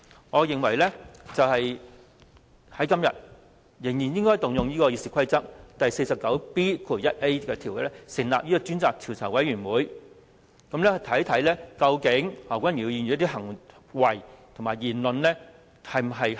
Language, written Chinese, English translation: Cantonese, 我認為今天仍然應該引用《議事規則》第 49B 條，成立專責調查委員會，看看何君堯議員的行為和言論是否恰當。, Hence I am of the view that a select committee should still be established under Rule 491A of the Rules of Procedure RoP today in order to find out if Dr Junius HO has been carrying himself properly both in words and deeds